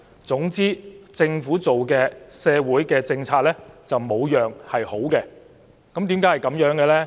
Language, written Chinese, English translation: Cantonese, 總之，只要是政府制訂的社會政策就一無是處，為何會這樣呢？, All in all any social policies formulated by the Government are meritless to them . Why is that the case?